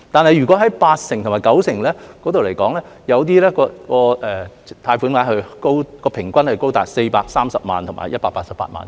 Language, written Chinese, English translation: Cantonese, 但是，就八成和九成信貸擔保而言，平均貸款額高達430萬元和188萬元。, However for the 80 % and 90 % guarantees the average loan amounts are as high as 4.3 million and 1.88 million respectively